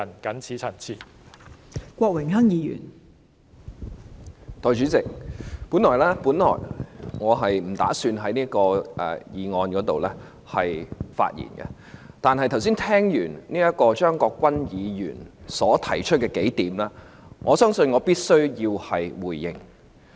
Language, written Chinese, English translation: Cantonese, 代理主席，我本來不打算就《2018年選舉法例條例草案》發言，但當我聽到張國鈞議員剛才提出的數點，我相信必須回應。, Deputy President I originally did not intend to speak on the Electoral Legislation Bill 2018 . But after hearing the several points advanced by Mr CHEUNG Kwok - kwan just now I feel obliged to make a response